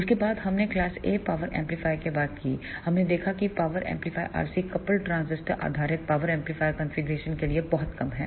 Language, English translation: Hindi, After that we talked about the class A power amplifier, we saw that the efficiency of the class A power amplifier is very less for R C coupled transistor based power amplifier configuration